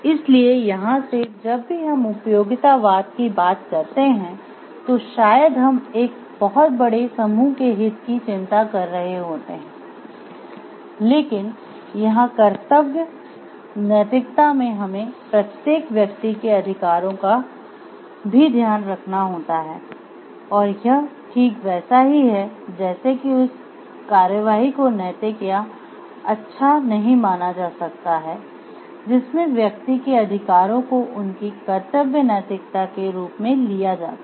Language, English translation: Hindi, So, here from like whenever we talking of utilitarianism maybe we are taking to concern the interest of a very large group majority, but here in duty ethics we are also taking care of the rights of the individuals and it is like those actions are taken to be ethical or good, which respects the rights of the individuals are taken as a part of the duty ethics